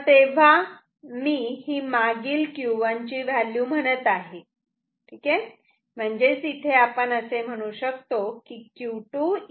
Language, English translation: Marathi, So, this value I am saying is the Q 1 previous known